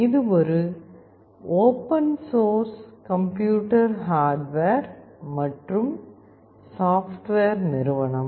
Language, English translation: Tamil, It is an open source computer hardware and software company